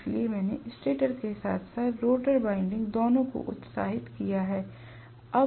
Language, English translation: Hindi, So, I have excited both stator as well as rotor windings